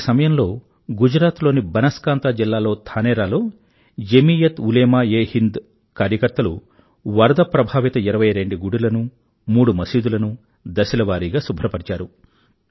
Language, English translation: Telugu, That is when, in Dhanera in the Banaskantha District of Gujarat, volunteers of JamiatUlemaeHind cleaned twentytwo affected temples and two mosques in a phased manner